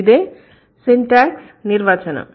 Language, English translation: Telugu, And what is the meaning of syntax